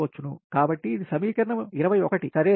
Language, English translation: Telugu, so this is equation twenty one